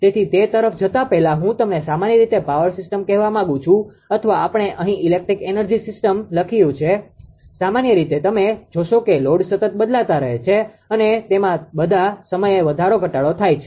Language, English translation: Gujarati, So, before moving to that before moving to that what I am what I supposed to tell you that generally the power system right, or we call here we have written an electric energy system same thing right generally you will find that loads are changing continuously right, increase decrease all the time right